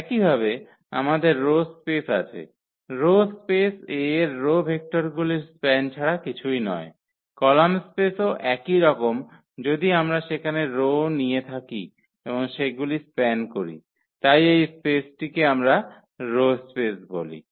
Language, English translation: Bengali, Similarly, we have the rows space row space is nothing but the span of the row vectors of A similar to the column space if we take the rows there and span them, so this space which we call the rows space